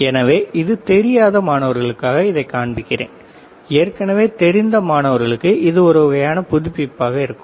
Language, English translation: Tamil, So, for those students who do not know this is what I am showing it to you for those students who already know it is kind of refreshed